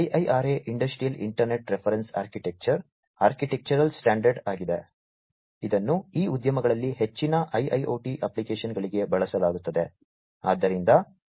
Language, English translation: Kannada, So, IIRA Industrial Internet Reference Architecture is the architectural standard, that is used for most of these IIoT applications in these industries